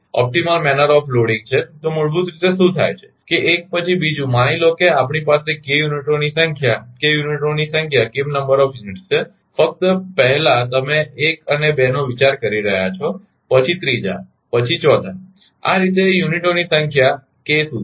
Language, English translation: Gujarati, So, basically what happen that 1 after another suppose we have k number of units k number of units just you are considering first 1 and 2, then 3rd, then 4th like this this way up to k th number of units right